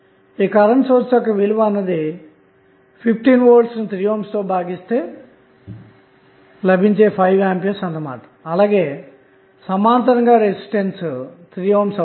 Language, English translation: Telugu, Current source value would be 15 by 3 that is nothing but 5 ampere and in parallel with one resistance that value of resistance would be 3 ohm